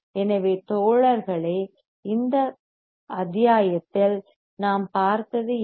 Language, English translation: Tamil, So, guys what we have seen in this module